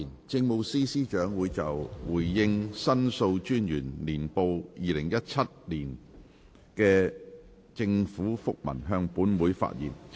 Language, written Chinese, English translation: Cantonese, 政務司司長會就"回應《申訴專員年報2017》的政府覆文"向本會發言。, The Chief Secretary for Administration will address the Council on The Government Minute in response to the Annual Report of The Ombudsman 2017